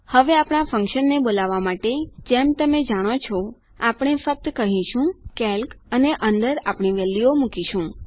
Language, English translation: Gujarati, Now to call our function, as you know, we will just say calc and put our values in